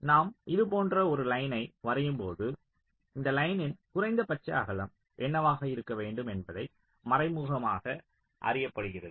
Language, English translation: Tamil, so when i draw a line like this, it is implicitly known that what should be the minimum width of this line